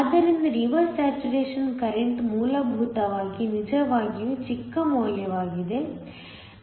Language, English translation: Kannada, So, the reverse saturation current is essentially a really small value